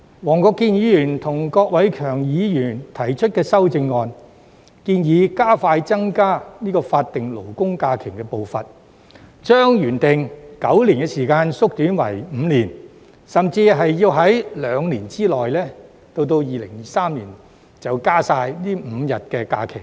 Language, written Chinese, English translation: Cantonese, 黃國健議員和郭偉强議員提出的修正案，建議加快增加法定假日的步伐，將原定9年的時間縮短為5年，甚至兩年，即是到2023年便完成增加這5天法定假日。, The amendments proposed by Mr WONG Kwok - kin and Mr KWOK Wai - keung seek to expedite the pace of increasing SHs by compressing the time required from the original nine years to five years or even two years ie . to finish increasing these five SHs by 2023